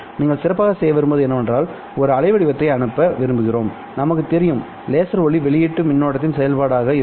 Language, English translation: Tamil, Well, I know that this is the waveform which I want to send, let's say, and I know this is the laser light output as a function of the current